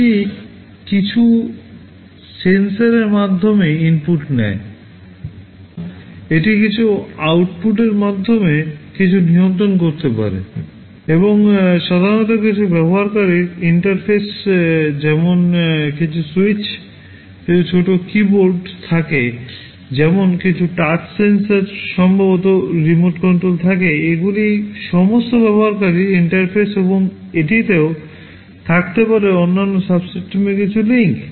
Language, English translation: Bengali, It takes inputs through some sensors, and it can control something through some outputs, and there are typically some user interfaces like some switches, some small keyboards, like some touch sensors maybe a remote control, these are all user interfaces and it can also have some links to other subsystems